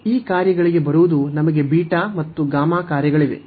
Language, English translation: Kannada, So, coming to these functions we have beta and gamma functions